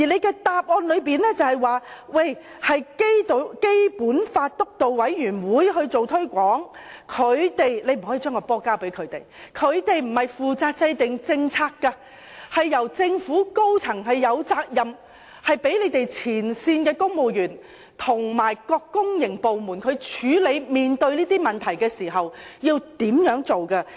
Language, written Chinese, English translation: Cantonese, 其實，當局不能夠把責任推卸給該委員會，它並非負責制定政策，而政府高層則有責任，給予指引和政策，讓前線公務員和各公營部門在面對這些問題時，知道應如何處理。, In fact the authorities must not shift the responsibility to the Steering Committee as it is not in charge of formulating policies . In fact the top echelons of the Government must provide guidelines and policies so that frontline civil servants and various public organizations will know what to do when facing these problems